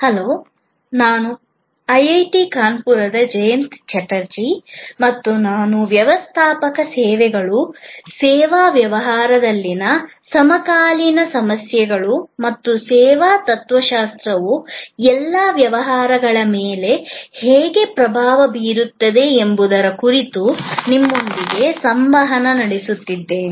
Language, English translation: Kannada, Hello, I am Jayanta Chatterjee from IIT Kanpur and I am interacting with you on Managing Services, contemporary issues in the service business and how the service philosophy is influencing all businesses